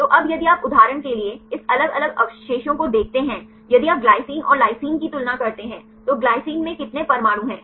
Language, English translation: Hindi, So, now if you look into this different residues for example, if you compare glycine and the lysine, how many atoms in glycine